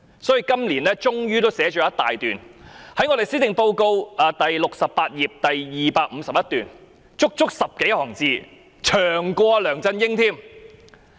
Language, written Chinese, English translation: Cantonese, 所以，今年她終於寫了一大段，在施政報告第68頁第251段，足足有10多行，比梁振英的篇幅還長。, Therefore she finally devoted one whole paragraph to this matter in this years Policy Address ie . paragraph 251 on page 77 . That paragraph contains 20 - odd lines which is even longer than the paragraph in LEUNG Chun - yings Policy Address